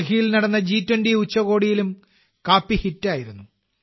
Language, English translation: Malayalam, The coffee was also a hit at the G 20 summit held in Delhi